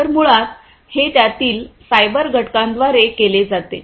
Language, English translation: Marathi, So, this is basically done by the cyber component of it